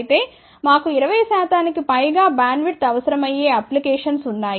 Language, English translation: Telugu, However, there are applications where we need bandwidth for more than 20 percent